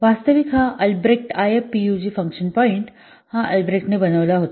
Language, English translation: Marathi, Actually this Albrecht IF PUG function point it was coined by Albrecht